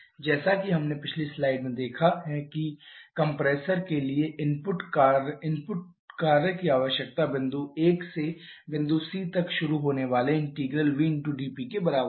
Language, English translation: Hindi, As we have seen in the previous slide the work input requirement for the compressor is equal to integral vdP starting from point 1 to point C in this case